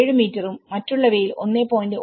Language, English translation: Malayalam, 7 meters in the bedrooms and 1